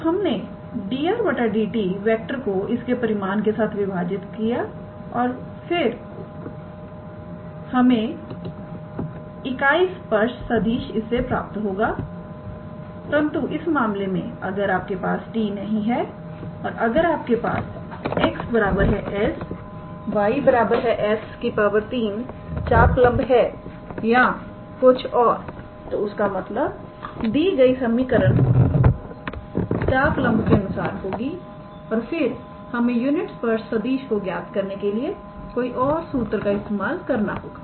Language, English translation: Hindi, So, we could have divided this dr dt with its magnitude and that would have given us the unit tangent vector, but in case if you did not have t and if you had arc length as x equals to let us say some s, y equals to some s to the power 3 or something; so, that means, the given equation is in terms of the arc length and then we had to use a different formula to calculate the unit tangent vector